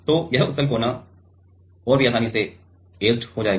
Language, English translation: Hindi, So, this convex corner will get etched even more easily